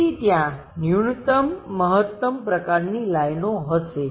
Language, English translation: Gujarati, So, there will be minimum, maximum kind of lines